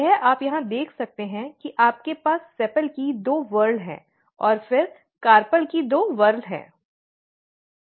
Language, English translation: Hindi, This you can see here you have this two whorls of the sepal and then two whorls of the carpel